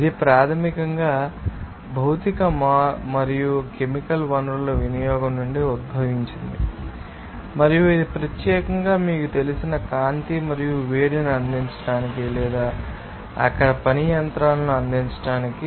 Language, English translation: Telugu, Which is basically derived from the utilization of physical and chemical resources and this especially, to provide, you know, light and heat or to work machines there